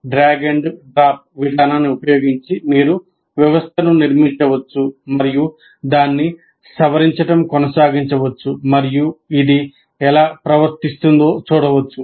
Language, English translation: Telugu, So you can build using kind of a drag and drop approach you can build the system and even keep modifying it and see how it behaves